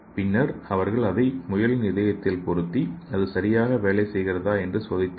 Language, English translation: Tamil, And they fit into rabbit’s hearts and they checked it whether it is working properly in a rabbit heart, okay